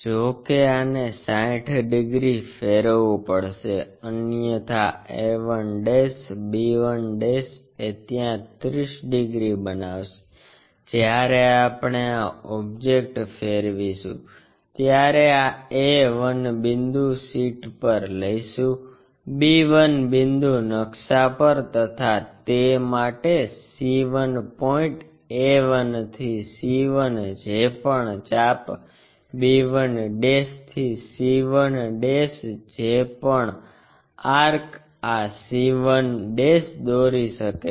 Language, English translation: Gujarati, However, this has to be turned around by 60 degrees otherwise a 1', b 1' has to make 30 degrees up to that we will rotate this object, when we rotate that object this a 1 point map to that, b 1 point map to that, c 1 point a 1 to c 1 whatever the arc b 1' to c 1' whatever the arc can construct this c 1'